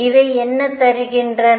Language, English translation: Tamil, What does these give